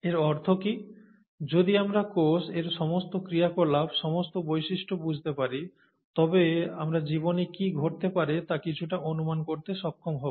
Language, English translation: Bengali, What does it mean, if we understand cell, the cell, and all its functions, all its properties, then we would be able to somewhat predict what happens to life